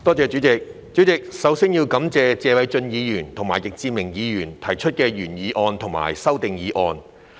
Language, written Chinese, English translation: Cantonese, 主席，首先要感謝謝偉俊議員和易志明議員分別提出的原議案及修正案。, President first of all I would like to thank Mr Paul TSE and Mr Frankie YICK for proposing the original motion and the amendment respectively